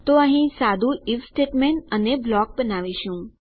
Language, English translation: Gujarati, So here we will create a simple if statement and our block